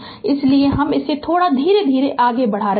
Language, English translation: Hindi, So, I am moving it little bit slowly